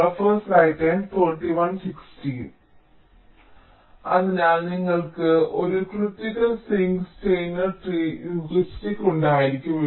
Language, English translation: Malayalam, similarly you can have a critical sink, steiner tree, heuristic